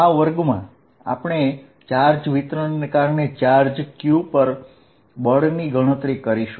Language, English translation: Gujarati, In this class, we will calculate force on a charge q due to distribution of charges